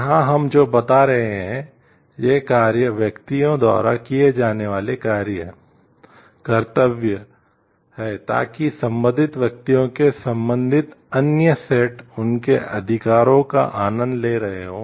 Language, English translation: Hindi, Here what you are telling these are the acts duties to be followed by individuals so that the corresponding connected other set of individuals will be enjoying their rights